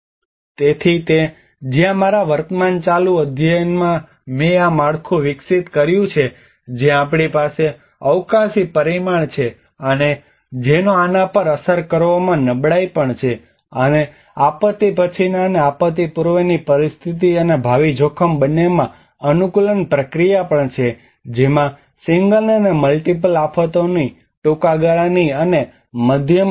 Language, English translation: Gujarati, So it is where in my current ongoing study I developed this framework where we have the spatial dimension and which has also the vulnerability in impacting on these, and there is also the adaptation process both pre disaster in disaster post disaster and the future risk which has a short term and medium term of single and multiple disasters